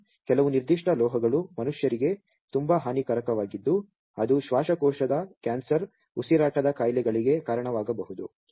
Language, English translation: Kannada, And some particular metals those are very much harmful for humans it may cause lungs cancer, respiratory diseases